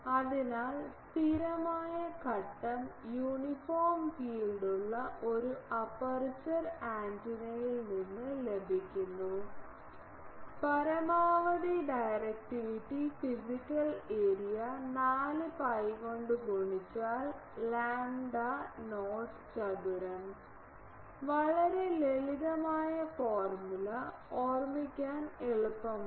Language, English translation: Malayalam, So, the maximum directivity obtainable from an aperture antenna with a constant phase uniform field is physical area multiplied by 4 pi by lambda not square; very simple formula easy to remember